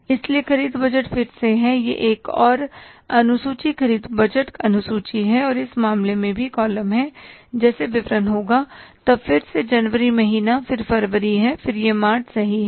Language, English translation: Hindi, So purchase budget is again this is the another schedule purchase budget schedule and in this case also we will have the columns like particles then the again months January then it is February and then it is February and then it is the March